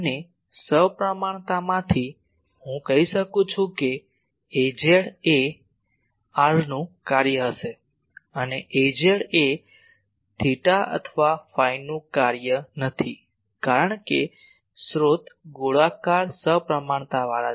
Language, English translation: Gujarati, And from the symmetry I can say that A z will be a function of r and A z is not a function of theta or phi because the source is spherically symmetric